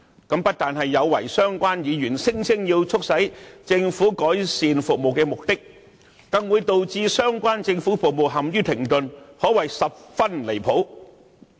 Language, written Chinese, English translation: Cantonese, 這不單有違相關議員聲稱要促使政府改善服務的目的，更會導致相關政府服務陷於停頓，可謂十分離譜。, This not only defeats the purpose of compelling the Government to improve services as claimed by the Members concerned but also brings the relevant government services to a standstill . This is really outrageous